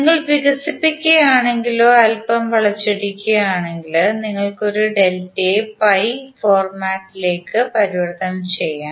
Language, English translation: Malayalam, If you expand or if you twist a little bit, you can convert a delta into a pi format